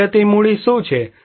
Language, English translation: Gujarati, What are the natural capitals